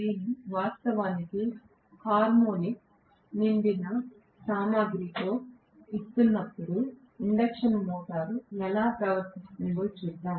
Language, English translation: Telugu, We will look at how the induction motor behaves when I am actually feeding it with harmonic rich supplies